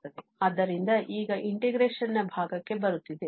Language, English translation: Kannada, Well, so now coming to the integration part